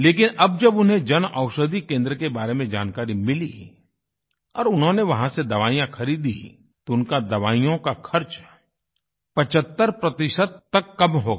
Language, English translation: Hindi, But now that he's come to know of the Jan Aushadhi Kendra, he has begun purchasing medicines from there and his expenses have been reduced by about 75%